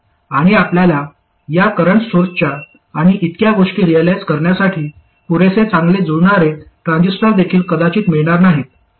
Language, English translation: Marathi, And also you may not get sufficiently good matched transistors to realize these current sources and so on